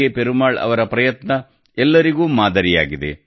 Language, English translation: Kannada, Perumal Ji's efforts are exemplary to everyone